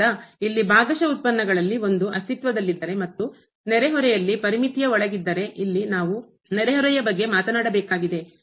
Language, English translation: Kannada, So, here if one of the partial derivatives exist and is bounded in the neighborhood; so, here we have to talk about the neighborhood